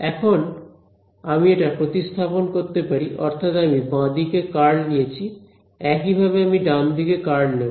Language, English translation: Bengali, Now, I can substitute this I mean this I took the curl on the left hand side similarly I will take the curl on the right hand side as well